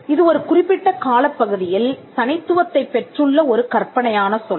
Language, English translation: Tamil, So, that is a fanciful term which has acquired distinctness over a period of time